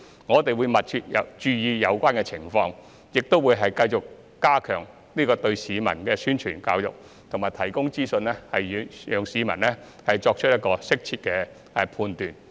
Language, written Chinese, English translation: Cantonese, 我們會密切注意有關的情況，亦會繼續加強對市民的宣傳教育，以及提供資訊，讓市民作出適切的判斷。, We will closely monitor the situation and continuous to step up publicity and education efforts targetting the public and provide information for the public to make the right judgment